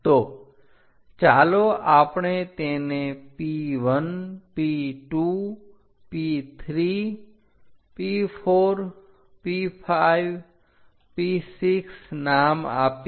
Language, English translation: Gujarati, So, let us name it 1 P 2, P 3, P 4, P 5 and from 5 and from 6